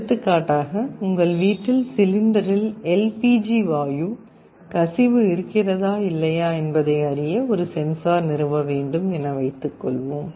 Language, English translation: Tamil, For example, in your home you want to install a sensor to check whether there is a leakage of your LPG gas in the cylinder or not